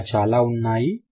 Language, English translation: Telugu, There would be more